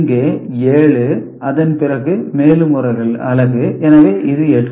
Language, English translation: Tamil, Here 7 after that one more unit, so this is 8